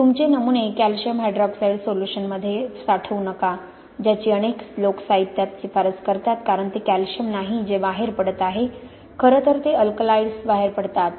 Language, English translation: Marathi, Don’t store your samples in calcium hydroxide solution which is what many people recommend in literature because it is not really calcium that is leaching out, it is actually the alkalides that leach out